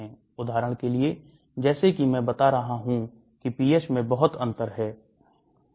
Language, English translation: Hindi, For example, like I have been telling that there is a lot of difference in the pH